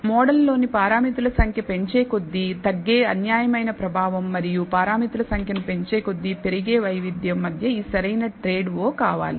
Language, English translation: Telugu, So, want this optimal trade o between the bias which keeps reducing as you increase the number of parameters and the variance which keeps increasing as the number of parameters in the model increases